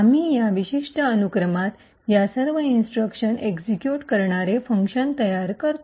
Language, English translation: Marathi, We build a function that executes all of these instructions in this particular sequence